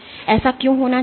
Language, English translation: Hindi, Why must this happen